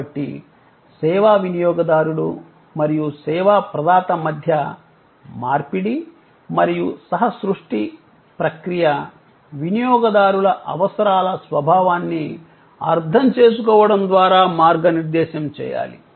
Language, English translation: Telugu, So, the process of exchange and co creation between the service consumer and the service provider must be guided by the understanding of the nature of customers need